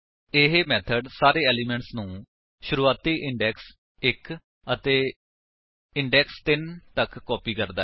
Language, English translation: Punjabi, This method copies all the elements starting from the index 1 and stopping at index 3